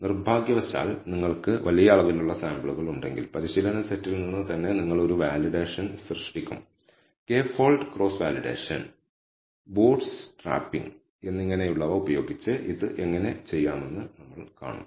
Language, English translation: Malayalam, Unfortunately, if you do not have large number of samples, so you would actually generate a validation set from the training set itself and we will see how to do this using what is called K fold cross validation and bootstrapping and so on